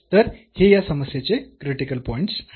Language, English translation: Marathi, So, these are the critical points of this problem